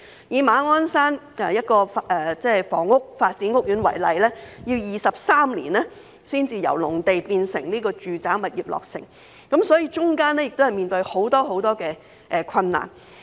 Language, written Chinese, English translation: Cantonese, 以馬鞍山一個房屋發展屋苑為例，要23年才由農地變成住宅物業，其間面對很多困難。, Take the site for developing a housing estate at Ma On Shan as an example . It took the developer 23 years to turn the agricultural land into residential units and there were many difficulties to overcome in the course of it